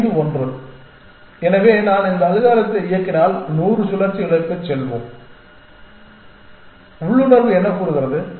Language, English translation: Tamil, Five ones; so if I run this algorithm let us say for hundred cycles what is the what are the intuition say